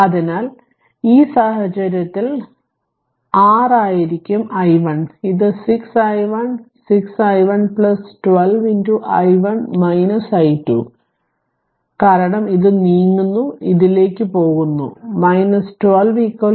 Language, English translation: Malayalam, So, in that means, in this case it will be your 6 i 1 this 6 i 1 say you write like this 6 i 1 plus 12 into i 1 minus i 2 this one, because we are moving this you are going to this right minus 12 is equal to 0 right